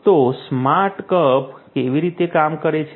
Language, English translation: Gujarati, So, how the smart cup works